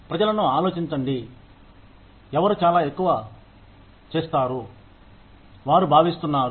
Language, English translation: Telugu, Think people, who do a lot more than, they are expected to